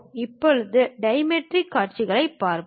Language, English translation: Tamil, Now, let us look at dimetric view